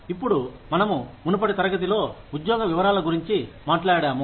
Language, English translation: Telugu, Now, we talked about, job descriptions in a previous class